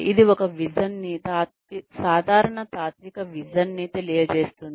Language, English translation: Telugu, It communicates a vision, a general philosophical vision